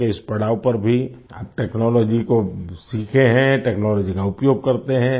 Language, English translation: Hindi, Even at this stage of age, you have learned technology, you use technology